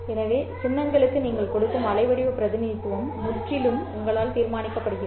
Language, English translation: Tamil, So the kind of waveform representation that you give for the symbols is determined entirely by you